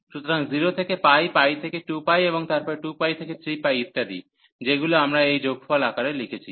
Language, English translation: Bengali, So, 0 to pi, pi to 2 pi, 2 pi to 3 pi, and so on, which we have written in this summation form